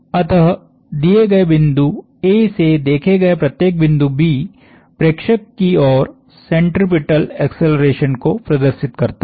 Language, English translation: Hindi, So, every point B as observed from a given point A exhibits a centripetal acceleration towards the observer